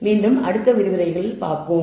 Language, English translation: Tamil, And, we will see you in the next lecture